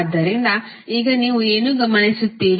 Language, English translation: Kannada, So, now what you will observe